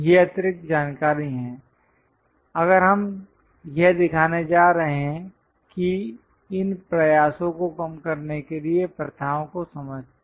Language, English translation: Hindi, These are the extra information if we are going to show it understand a practices to minimize these efforts